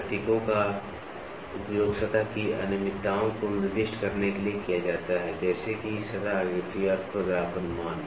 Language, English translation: Hindi, Symbols are used to designate surface irregularities such as, lay of the surface pattern and the roughness value